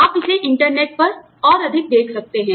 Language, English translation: Hindi, You can look up this more, on the internet